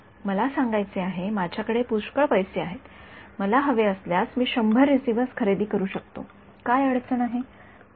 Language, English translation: Marathi, I have to put, I have a lot of money I can buy 100 receivers if I want; what is the problem